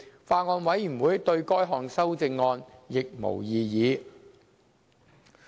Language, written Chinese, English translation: Cantonese, 法案委員會對該項修正案亦無異議。, The Bills Committee also had no objection to the proposed CSA